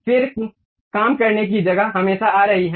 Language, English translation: Hindi, Then the working space always be coming